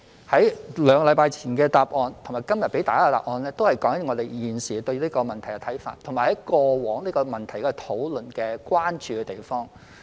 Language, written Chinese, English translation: Cantonese, 我在兩星期前的答覆及今天給大家的答覆，都是我們現時對這個問題的看法，以及過往討論這個問題所關注的地方。, My reply two weeks ago and my reply to Member today are both our current views on this problem as well as our points of concern in our past discussion on this problem